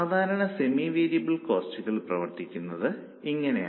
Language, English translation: Malayalam, This is how normally semi variable costs operate